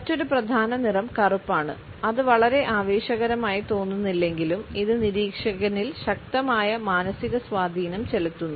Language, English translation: Malayalam, Another major color is black and although it might not seem very exciting, it has powerful psychological effects on the observer